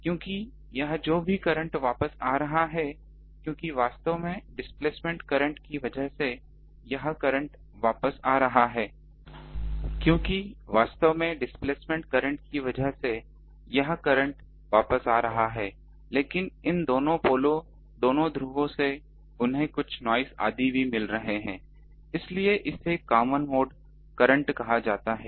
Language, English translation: Hindi, Because this whatever current is returning because through the displacement current actually this current returning, but also both of this poles they are also getting some noise etcetera